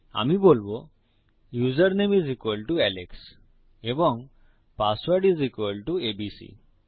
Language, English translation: Bengali, Ill say username is equal to alex and my password is equal to abc